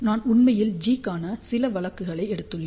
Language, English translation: Tamil, So, I have actually taken a few cases of G, so 1